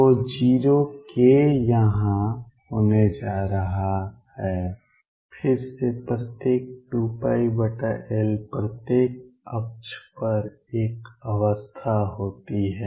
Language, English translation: Hindi, So, 0 k is going to be here again every 2 pi by L there is one state on each axis